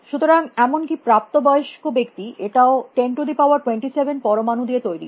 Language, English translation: Bengali, So, even adult, it is made up of about 10 raise to 27 atoms